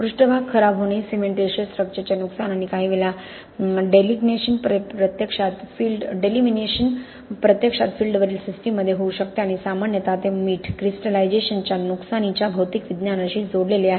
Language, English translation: Marathi, Surface deterioration, loss of cementitious structure or sometimes delamination can actually happen in the systems on the field and generally it is coupled with physical science of damage from salt crystallization